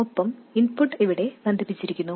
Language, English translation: Malayalam, And the input is connected here